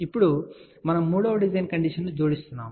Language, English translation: Telugu, Now, we are adding a third design condition